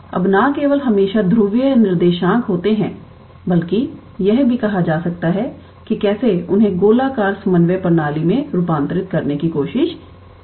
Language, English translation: Hindi, Now not only always polar coordinates, but one can also try to how to say transform them into a spherical coordinate system